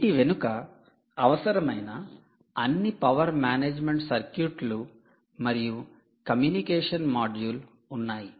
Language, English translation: Telugu, behind these are all the required power management circuits and the communication module